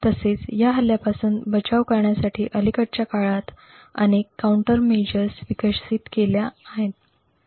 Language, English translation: Marathi, Also, there have been many countermeasures that have been developed in the recent past to prevent this attack